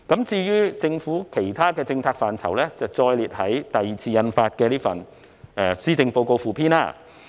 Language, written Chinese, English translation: Cantonese, 至於有關政府其他政策範疇的內容，則載列於第二次印發的施政報告附篇。, As regards the details of other policy areas of the Government they have been set out in the second Policy Address Supplement Supplement